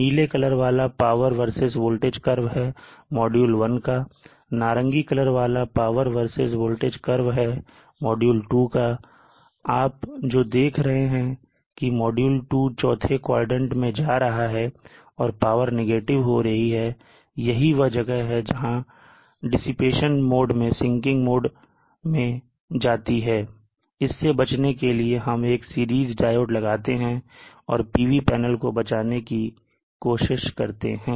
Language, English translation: Hindi, And then you how the power versus voltage curve this blue one is the power versus voltage curve of module one and this light orange colored one is the power versus voltage curve of module two and you see that the module two is going into the fourth quadrant negative the power is becoming negative and this is the reason where it goes into the dissipation more to the sinking mode to avoid this we of course put a series diode our diode in series and try to protect the PV panels